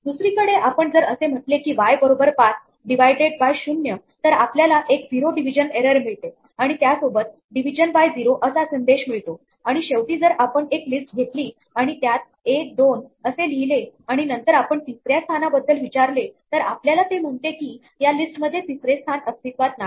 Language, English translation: Marathi, On the other hand, if we say is equal to 5 divided by 0 then we get a 0 division error and along with the message division by 0 and finally, if we have a list say 1, 2 and then we ask for the position three then it will say that there is no position three in this list